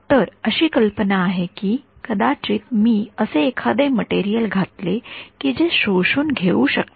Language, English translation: Marathi, So, the idea is that maybe I can put some material over here that absorbs